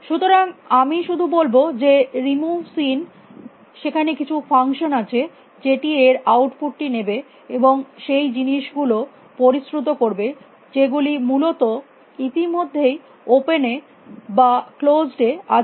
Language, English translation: Bengali, So, I will just say remove seen there some function which will take the output of this, and filter out things we which are already existing in closed or in open essentially